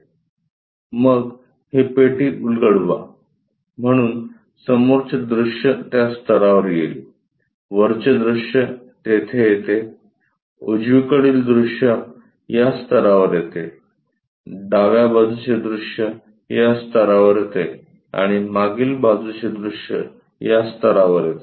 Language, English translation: Marathi, Then, unfold this box, so the front view comes at this level; the top view comes there; the right side view comes at this level; the left side view comes at that level and the back side view comes at this level